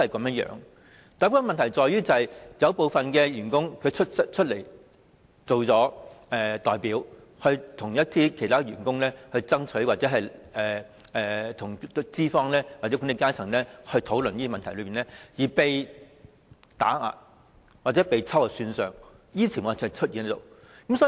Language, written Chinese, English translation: Cantonese, 問題是有些員工以代表的身份為其他員工爭取權益，並在與資方或管理階層討論一些問題後被打壓或秋後算帳，這些情況時有出現。, However when some worker representatives rose to fight for the rights and interests of their co - workers they may after discussing certain issues with the employers or management faced suppression or retaliation such problems do occur from time to time